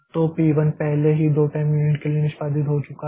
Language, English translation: Hindi, So, p1 has already executed for two time units